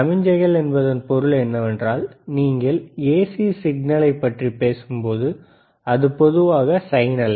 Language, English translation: Tamil, Signals in the sense, that when you talk about AC signal, it is generally sine wave,